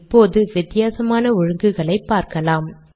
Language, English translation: Tamil, We will now try different alignments